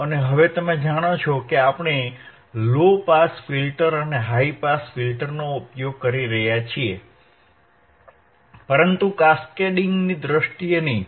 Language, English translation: Gujarati, And now you know that, we are using the low pass filter and high pass filter, but not in terms of cascading